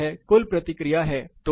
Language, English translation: Hindi, So, this is a total response